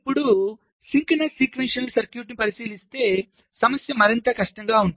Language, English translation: Telugu, so if you now consider a synchronous sequential circuit, the problem is even more difficult